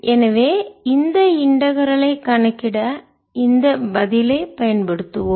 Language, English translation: Tamil, so we will use this answer to calculate this integral